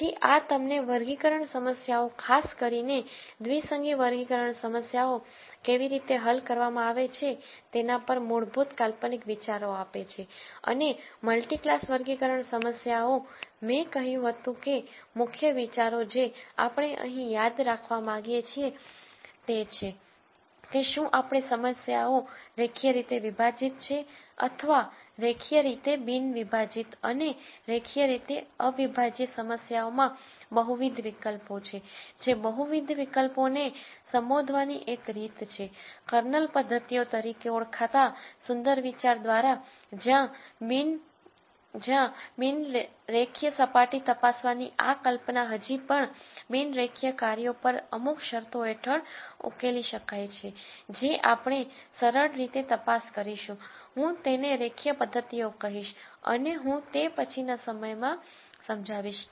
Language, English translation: Gujarati, So, these give you some basic conceptual ideas on how classification problems are solved particularly binary classification problems and multi class classification problems, the key ideas that I said that we want to remember here are whether these problems are linearly separable or linearly non separable and in the linearly non separable problems there are multiple options one way to address the multiple options is through a beautiful idea called Kernel methods, where this notion of checking several non linear surfaces can still be solved under certain conditions on the non linear functions that we want to check using simple I would I am going to call it linear methods and I will explain this later in the course